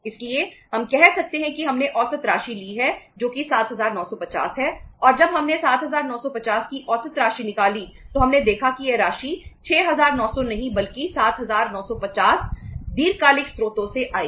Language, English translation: Hindi, So we can say that we have taken the average amount that is 7950 and when we worked out that average amount of 7950 we saw that this amount, not 6900 but 7950 will come from the long term sources